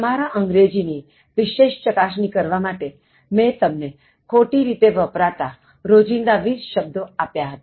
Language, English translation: Gujarati, To test your English further, I gave you 20 more commonly misused words, expressions in everyday usage